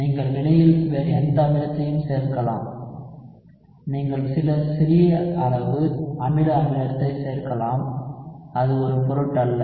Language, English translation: Tamil, You can add any other acid in the reaction, you can add some small amount of acidic acid, it does not matter